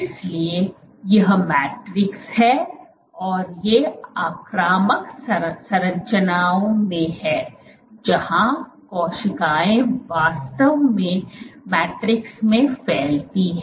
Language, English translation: Hindi, So, these are in invasive structures where cells actually protrude into the matrix